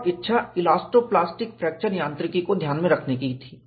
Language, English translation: Hindi, And the desire was, to account for elasto plastic fracture mechanics